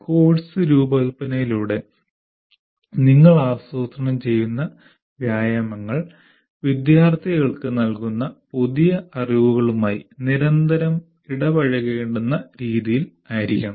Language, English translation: Malayalam, You plan exercises through course design in such a way that students are required to engage constantly with the new knowledge that is being imparted